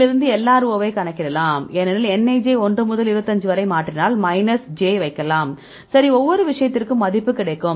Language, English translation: Tamil, Then from that we can calculate the LRO because nij; you can put i minus j that we change right 1 to 25, right, for each case, we will get the value